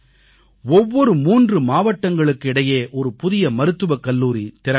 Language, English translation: Tamil, One new medical college will be set up for every three districts